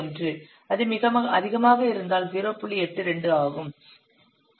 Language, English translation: Tamil, 91, if it is very high, it is 0